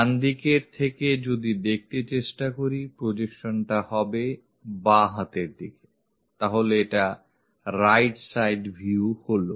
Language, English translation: Bengali, From right side, if we are trying to look at, the projection will be on the left hand side; so, right side view